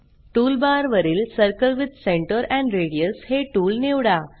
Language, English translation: Marathi, Select the Circle with Center and Radius tool from tool bar